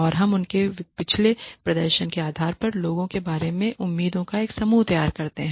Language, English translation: Hindi, And we formulate a set of expectations about people based on their past performance